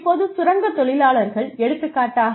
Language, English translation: Tamil, Now, miners, for example